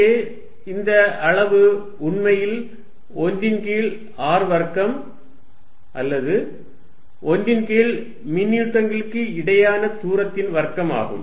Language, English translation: Tamil, Notice that, this quantity here is actually 1 over r square or 1 over the distance between the charges square